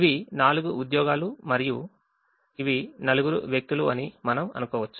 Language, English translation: Telugu, we can assume that these four are jobs and these four are people